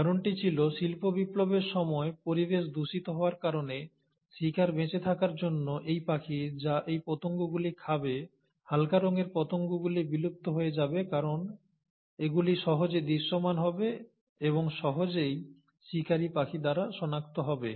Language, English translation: Bengali, The reason was, that during industrial revolution, because of a polluted environment, in order to survive the prey, that is the bird which will be eating on these moths, the light coloured moths will become extinct because they will become easily visible and will easily be spotted by the preying bird